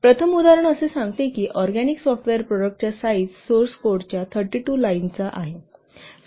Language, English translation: Marathi, So, first example said that the size of an organic software product has been estimated to be 32 lines of source code